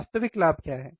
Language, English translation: Hindi, What is the actual gain